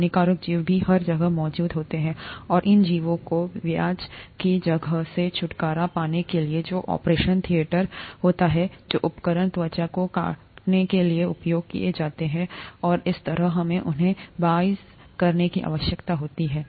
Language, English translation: Hindi, The harmful organisms are also present everywhere, and to get rid of these organisms in the place of interest, which happens to be the operation theatre, the instruments which are used to cut the skin and so on, we need to sterilize them